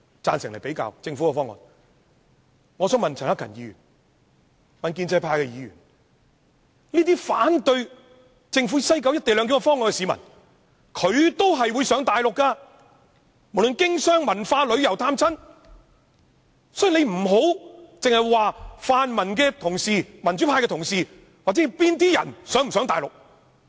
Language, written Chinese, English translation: Cantonese, 我想告訴陳克勤議員、建制派議員，這些反對政府西九"一地兩檢"方案的市民，他們都會往返內地，不論是經商、文化、旅遊、探親，所以你們不要只針對泛民同事或民主派同事或某些人是否會往內地。, Let me tell Mr CHAN Hak - kan and all pro - establishment Members one thing here . Those against the co - location arrangement at the West Kowloon Station do also need to go to the Mainland for reasons of doing business cultural exchanges sightseeing and visiting relatives . Hence pro - establishment Members simply should not focus only on whether pan - democratic and democratic Members or other people will go to the Mainland